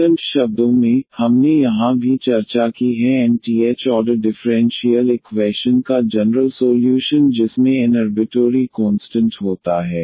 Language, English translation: Hindi, In other words what we have also discussed here the general solution of nth order differential equation which contains n arbitrary constants